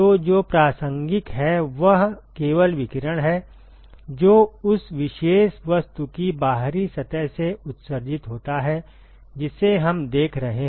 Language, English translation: Hindi, So, what is relevant is only radiation which is emitted by the outer surface of that particular object that we are looking